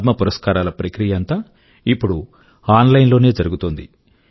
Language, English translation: Telugu, The entire process of the Padma Awards is now completed online